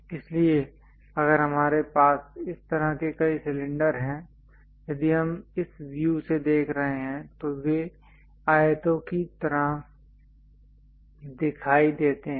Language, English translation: Hindi, So, if we have multiple cylinders such kind of thing, if we are looking from this view they appear like rectangles